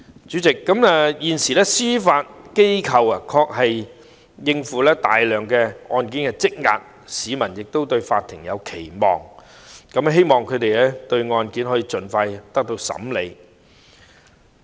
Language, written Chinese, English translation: Cantonese, 主席，現時司法機構的確要應付大量積壓的案件，市民亦期望法庭可以盡快審理案件。, Chairman at present the Judiciary actually has to deal with a large backlog of cases and members of the public also expect that the cases will be expeditiously handled by the courts